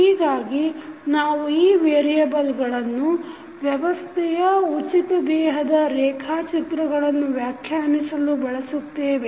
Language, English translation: Kannada, So, we will use these variables to define the free body diagram of the system